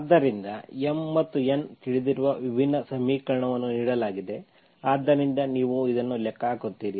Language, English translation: Kannada, So given differential equation which you know M and N are known, so you calculate this